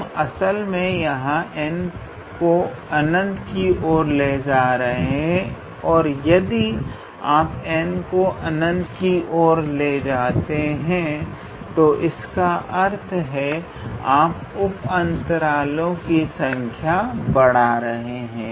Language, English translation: Hindi, We are actually making here n tends to infinity and if you make n tends to infinity then basically you are increasing the number of subintervals